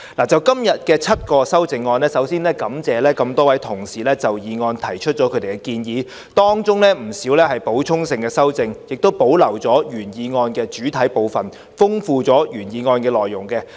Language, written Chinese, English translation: Cantonese, 就今天7項修正案，首先感謝多位同事就議案提出建議，當中不少是補充性的修正，既保留了原議案的主體部分，亦豐富了原議案的內容。, Speaking of the seven amendments today I must first thank all those Members for their recommendations on the motion . Many amendments are supplementary by nature and they have retained the main part of the original motion and enriched its contents